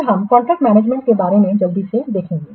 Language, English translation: Hindi, Then we will quickly see about the contract management